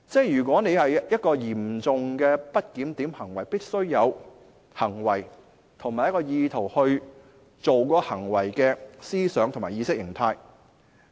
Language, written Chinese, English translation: Cantonese, 如果是嚴重的不檢點行為，必須有行為和意圖，即作出該行為的思想和意識形態。, To prove serious misbehaviour on his part there must be the behaviour and intent or the thinking and ideology contributing to that behaviour